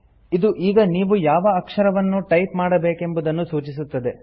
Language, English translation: Kannada, It indicates that it is the character that you have to type now